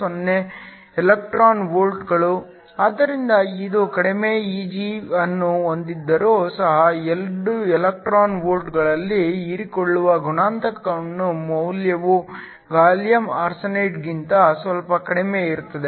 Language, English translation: Kannada, 10 electron volts at room temperature, so even though it has a lower Eg the value of the absorption coefficient at 2 electron volts is slightly lower than that of gallium arsenide